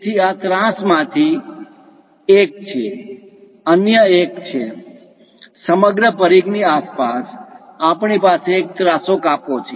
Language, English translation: Gujarati, So, this is one of the slant, one other one; around the entire circumference, we have a slant